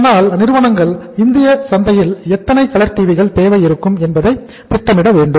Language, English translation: Tamil, So companies have to plan in a way that how much is going to the demand for the colour TVs in the total Indian market